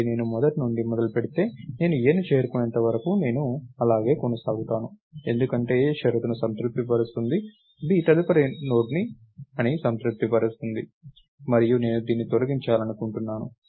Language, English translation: Telugu, so if I start from the beginning, I will keep going along till I hit a, because a satisfies the condition satisfies the condition that b is the next node, and this is what I want to delete